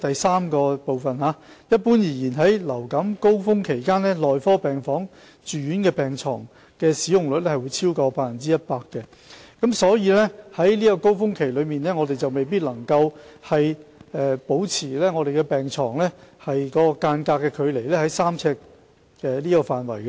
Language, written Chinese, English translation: Cantonese, 三一般而言，在流感高峰期期間，內科病房住院病床使用率會超越 100%， 所以，在高峰期內，我們未必能將病床之間的距離維持在3呎的範圍內。, 3 As the inpatient bed occupancy rate in medical wards generally exceeds 100 % during the influenza surge period we may not be able to maintain the distance between beds at 3 ft